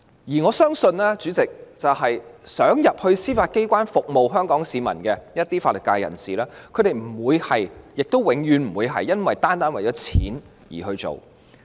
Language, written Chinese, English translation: Cantonese, 而我相信，主席，一些想加入司法機關服務香港市民的法律界人士，他們不會——亦永遠不會——單單是為了金錢而加入。, I believe that President those legal professionals who wish to join the Judiciary to serve Hong Kong people will not―and will never―do so solely for the sake of money